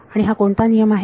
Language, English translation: Marathi, And that is what law